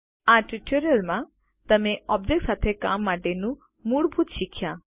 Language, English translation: Gujarati, In this tutorial, you have learnt the basics of working with objects